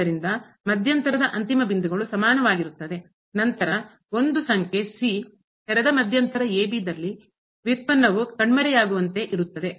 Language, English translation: Kannada, So, the end points of the interval is equal, then there exist a number in the open interval such that the derivative vanishes at this point